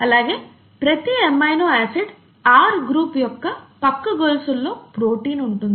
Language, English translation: Telugu, And the side chains that are part of each amino acid R group that constitute the protein